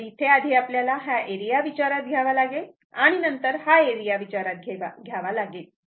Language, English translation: Marathi, So, first we have to consider this area and then we have to consider this area